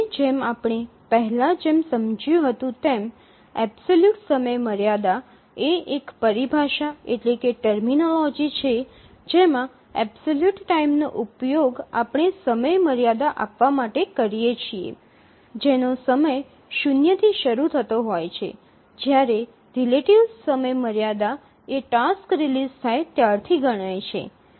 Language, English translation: Gujarati, And we already explained the absolute deadline is a terminology we use to give absolute time to the deadline starting from time zero, whereas relative deadline is counted from the release of the task